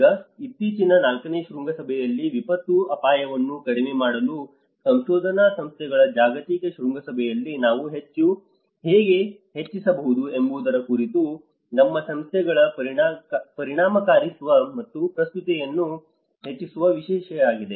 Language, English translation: Kannada, Now, in the recent the fourth summit, global summit of research institutes for disaster risk reduction, the theme is about the increasing the effectiveness and relevance of our institutes how we can increase